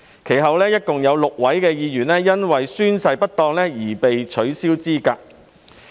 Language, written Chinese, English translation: Cantonese, 其後，共有6名議員因宣誓不當而被取消資格。, Subsequently a total of six Members were disqualified for improper oath - taking